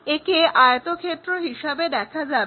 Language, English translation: Bengali, This one goes to a rectangle